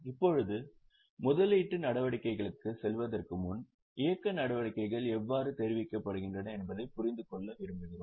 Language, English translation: Tamil, Now, before going to investing activities, we also would like to understand how are the operating activities reported